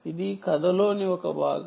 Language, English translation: Telugu, this is one part of the story